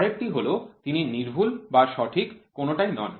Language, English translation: Bengali, The next one is he is neither precise nor accurate